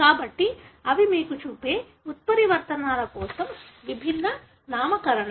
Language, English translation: Telugu, So, these are the different nomenclatures for the mutations that you see